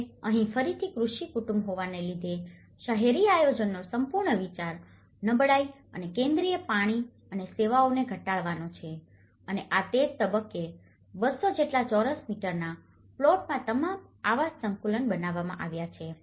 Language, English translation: Gujarati, Now, here being agricultural family again the whole idea of urban planning is to reduce the vulnerability and the centralizing water and services and this is where all the housing complexes are built in about 200 square meters plots